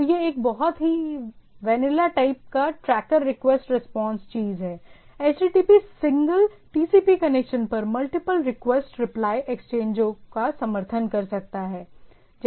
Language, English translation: Hindi, So, it is a very vanilla type of tracker request response thing, HTTP can support multiple request reply exchanges over a single TCP connection right